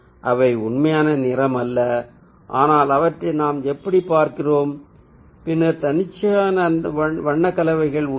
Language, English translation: Tamil, that is not the real color, but how we see them, and then there are arbitrary color combination